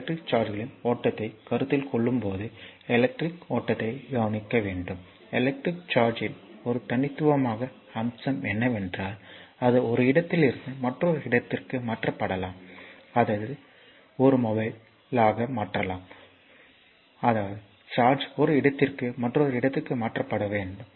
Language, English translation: Tamil, So, now, consider the flow of electric, a unique feature of electric charge is that it can be transfer from one place to another place; that means, it is mobile; that means, charge can be transfer for one place to another